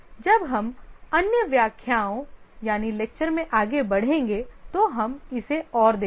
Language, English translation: Hindi, We'll see more of this as we proceed in the other lectures